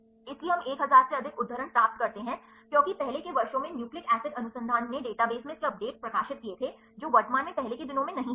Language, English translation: Hindi, So, we get more than 1000 citations, because earlier years nucleic acid research they published the updates of this in databases right not currently earlier days